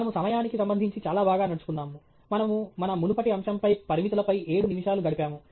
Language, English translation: Telugu, We are doing quite well with respect to time; we spent about 7 minutes or so, on our previous topic on constraints